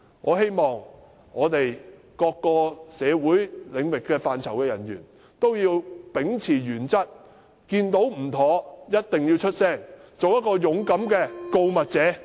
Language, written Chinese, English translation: Cantonese, 我希望各社會領域範疇的人員也要秉持原則，看到有問題的地方就一定要說出來，做一個勇敢的告密者。, There are too many such people in Hong Kong . I hope all sectors of the community will uphold principles and become brave whistle - blowers who will speak up when they see problems